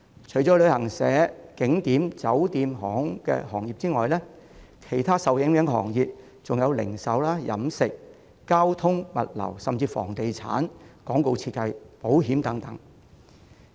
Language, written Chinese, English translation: Cantonese, 除了旅行社、景點、酒店和航空業外，其他受影響的行業還有零售、飲食、交通、物流，甚至房地產、廣告設計和保險等。, In addition to travel agents tourist attractions hotels and aviation other affected sectors include retail catering transport logistic or even real estate advertisement design and insurance services . Take the retail sector as an example